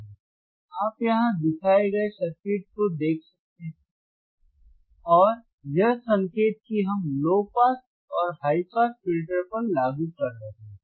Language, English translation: Hindi, You can see the circuit which is shown here, circuit which is shown here right and the signal that we are applying is to the low pass and high pass filter you can see here correct